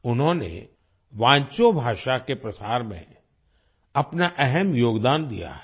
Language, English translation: Hindi, He has made an important contribution in the spread of Wancho language